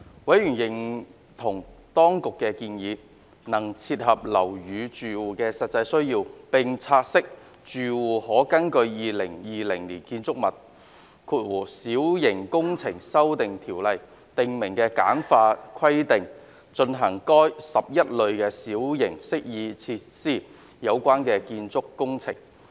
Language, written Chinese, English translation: Cantonese, 委員認同當局的建議能切合樓宇住戶的實際需要，並察悉住戶可根據《2020年建築物規例》訂明的簡化規定進行與該11類小型適意設施有關的建築工程。, Members agree that the Administrations proposals can meet the genuine needs of building occupants and note that the occupants can carry out the building works relating to the said 11 types of minor amenity features pursuant to the simplified requirements under the Building Minor Works Amendment Regulation 2020